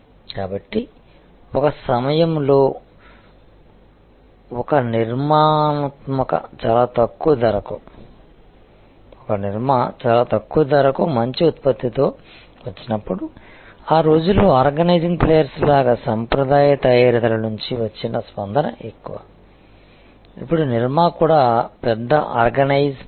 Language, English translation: Telugu, So, this is how at one time, when a Nirma came with a good product at a very low price, the response from the traditional manufacturers as are the organize players of those days, now Nirma itself is a big organize player